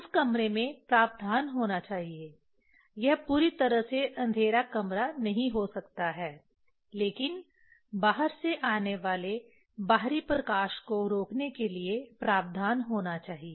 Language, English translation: Hindi, In that room there should be provision it may not be completely dark room but there should be provision for preventing the light coming from the outside external light